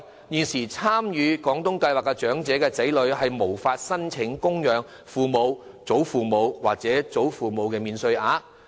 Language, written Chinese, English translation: Cantonese, 現時參與廣東計劃的長者的子女，並不能申請供養父母、祖父母或外祖父母免稅額。, Currently the children of elderly persons participating in the Guangdong Scheme are not eligible for applying for the dependent parent or dependent grandparent allowance